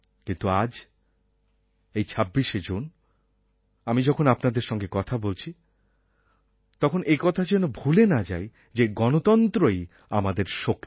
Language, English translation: Bengali, But today, as I talk to you all on 26th June, we should not forget that our strength lies in our democracy